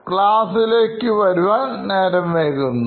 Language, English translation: Malayalam, He was a regular at coming late to class